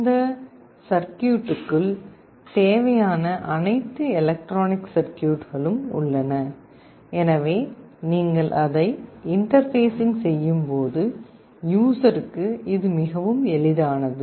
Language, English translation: Tamil, This circuit has all the required electronic circuit inside it, so that when you interface it, it becomes very easy for the user